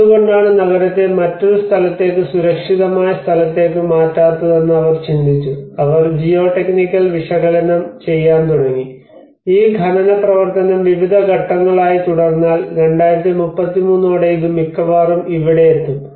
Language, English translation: Malayalam, So then they thought why not we move the city into a different place a safe place so in that way they started analysing the geotechnical analysis have been done and they looked at how you see this mining activity keep on going in different stages and by 2033 it will almost reach here